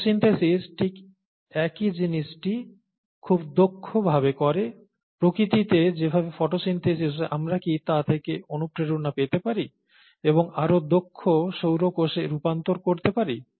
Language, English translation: Bengali, So can we get inspiration from the way photosynthesis is done in nature, and translate it to more efficient solar cells